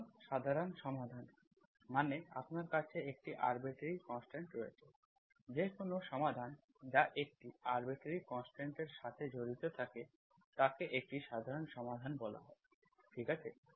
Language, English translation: Bengali, So the general solution, so general solution means, so you have an arbitrary constant, any solution that involves an arbitrary constant is called, is called general solution, okay